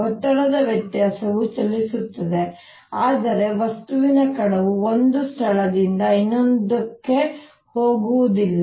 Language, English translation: Kannada, that pressure difference travels, but the material particle does not go from one place to the other